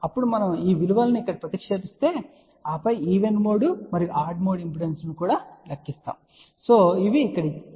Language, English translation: Telugu, Then we substitute these values over here and then calculate even mode and odd mode impedances which are given over here ok